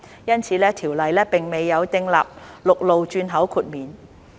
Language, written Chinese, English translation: Cantonese, 因此，條例並未有訂立陸路轉口豁免。, Therefore the Bill does not provide for exemption for land transhipment cargoes